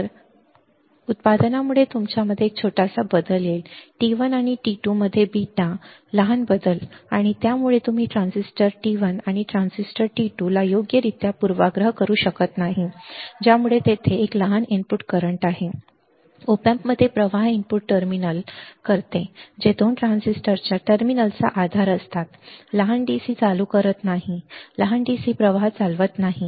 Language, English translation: Marathi, So, but because of the manufacturing there will be a small change in your beta the small change in beta between T 1 and T 2 and due to that you cannot bias the transistor T 1 and 2 correctly and because of which there is a small input current that can flow into the op amp does the input terminals which are base of the terminals of the 2 transistors do not current small DC do not conduct small DC current